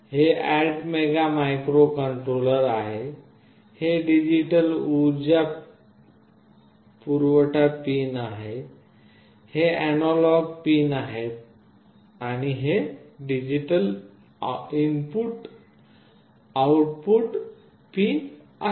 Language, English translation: Marathi, This is the ATmega microcontroller, this is the digital power supply pins, these are the analog pins and these are the digital input output pins